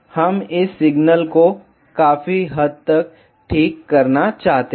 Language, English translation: Hindi, We have we want to remove this signal substantially ok